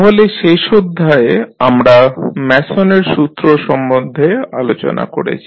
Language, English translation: Bengali, So, let us discuss first the Mason’s rule which we were discussing in the last session